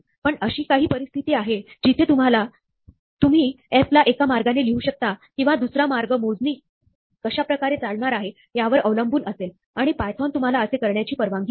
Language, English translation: Marathi, But, there are situations where you might want to write f in one way, or another way, depending on how the computation is proceeding; and python does allow you to do this